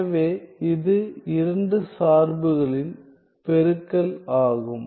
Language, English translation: Tamil, So, it is a product of two functions